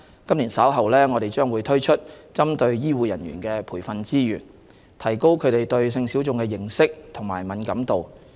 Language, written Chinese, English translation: Cantonese, 今年稍後，我們將推出針對醫護人員的培訓資源，提高他們對性小眾的認識和敏感度。, Training resources targeting medical and health care professionals would be launched later this year to enhance their knowledge of and sensitivity towards sex minorities